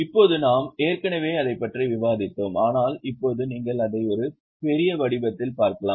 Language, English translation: Tamil, Now we have already discussed it but now you can just see it in a form of a figure